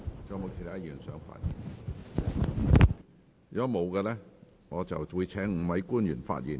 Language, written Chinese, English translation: Cantonese, 如果沒有議員想發言，我會請5位官員發言。, If no Member wishes to speak I will invite the five public officers to speak